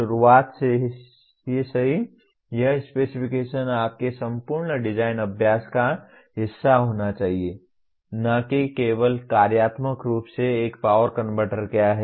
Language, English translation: Hindi, So right from the beginning, this specification should be part of your entire design exercise, not just functionally what a power converter is